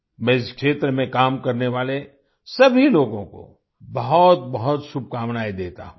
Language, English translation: Hindi, I wish all the very best to all the people working in this field